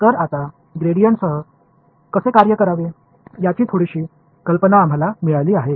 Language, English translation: Marathi, So, we have got some idea of how to work with the gradient now